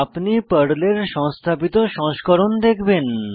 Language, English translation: Bengali, You will see the installed version of PERL